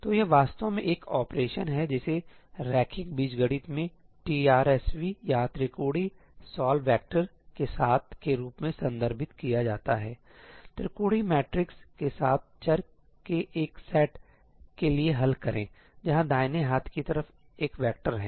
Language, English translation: Hindi, So, this is actually an operation which in linear algebra is referred to as TRSV or triangular Solve with a Vector solve for a set of variables with the triangular matrix, where the right hand side is a vector